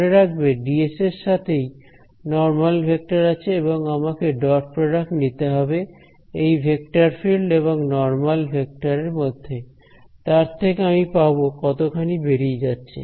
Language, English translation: Bengali, Remember the ds had the normal vector inside it over here as it made sense and I had to take the dot product of the vector field with that normal vector, that gave me how much was going out ok